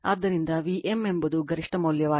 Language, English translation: Kannada, So, v m is the peak value